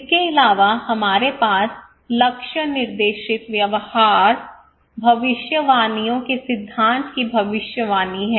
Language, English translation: Hindi, Also we have prediction of goal directed behaviours, theory of predictions